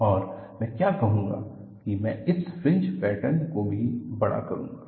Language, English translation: Hindi, And what I will do is, I will also enlarge this fringe pattern